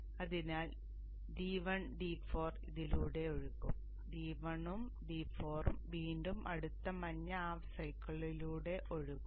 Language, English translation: Malayalam, D2 and D3 it flows here and D2 and D3 it will again flow in the next blue half cycle